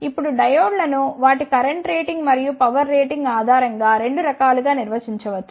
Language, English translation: Telugu, Now, the diodes can be defined into 2 types depending upon the their current rating and the power rating